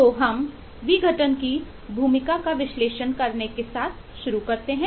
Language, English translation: Hindi, so we start with eh analyzing the role of decomposition